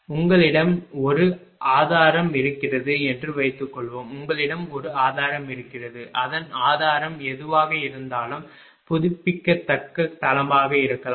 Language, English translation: Tamil, Suppose you have a you have a source right suppose, you have a source its source may be renewable base whatever it is